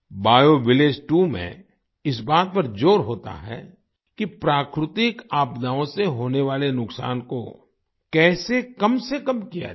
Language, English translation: Hindi, BioVillage 2 emphasizes how to minimize the damage caused by natural disasters